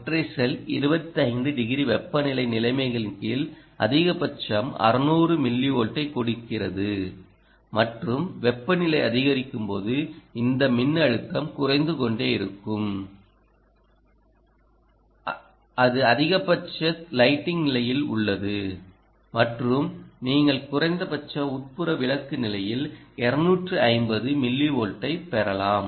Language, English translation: Tamil, it cannot be panel, single cell, single cell gives maximum of six hundred millivolt under temperature conditions of twenty five degrees, and as the temperature keeps increasing this voltage will keep falling down, ah, and that is under maximum lighting condition, and you can get two fifty millivolt under minimum indoor lighting condition